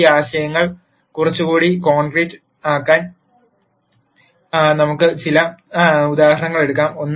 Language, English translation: Malayalam, Let us take some examples to make these ideas little more concrete